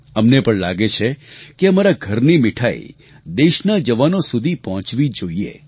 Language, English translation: Gujarati, We also feel that our homemade sweets must reach our country's soldiers